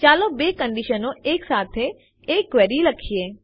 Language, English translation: Gujarati, Let us write a query with two conditions